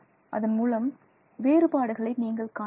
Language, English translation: Tamil, So, you can see the differences and so on